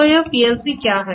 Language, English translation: Hindi, So, what is this PLC